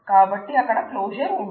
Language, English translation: Telugu, So, in the closure that must be there